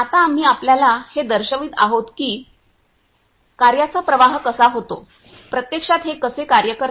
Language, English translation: Marathi, Now we are going to show you how the work flow, how this actually work